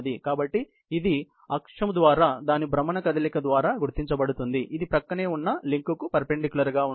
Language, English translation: Telugu, So, it is identified by its rotational motion about the axis, perpendicular to the adjoining link